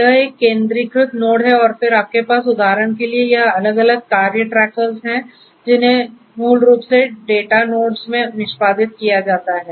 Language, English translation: Hindi, So, this is a centralised node and then you have this different other task trackers for example, which are basically being executed in the data nodes